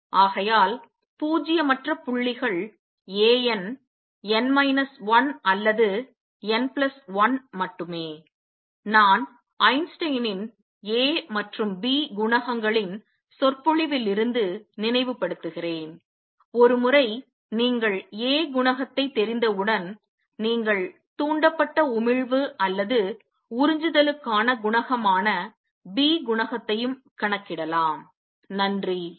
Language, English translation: Tamil, So, only nonzero points are A n, n minus 1 or A n, n plus 1 also recall from the lecture Einstein’s A and B coefficients once you know the A coefficient, you can also calculate the B coefficient that is the coefficient for stimulated emission or absorption